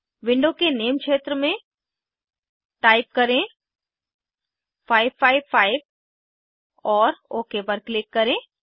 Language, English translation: Hindi, In the Name field of component selection window, type 555 and click on Ok